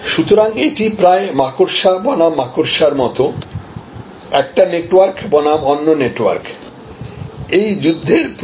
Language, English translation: Bengali, So, this almost like a spider versus spider, one network versus another network is the nature of this battle